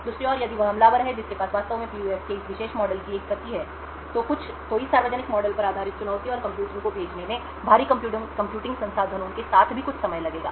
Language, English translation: Hindi, On the other hand, if that is an attacker who actually has a copy of this particular model of the PUF, sending the challenge and computing the model based on this public model would take quite some time even with heavy computing resources